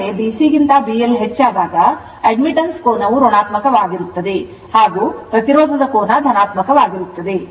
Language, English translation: Kannada, So, when B L greater than B C that angle of admittance is negative; that means, angle of admittance theta is positive